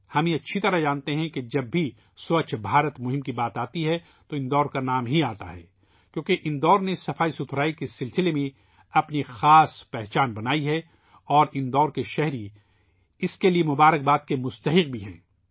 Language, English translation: Urdu, We know very well that whenever the topic Swachh Bharat Abhiyan comes up, the name of Indore also arises because Indore has created a special identity of its own in relation to cleanliness and the people of Indore are also entitled to felicitations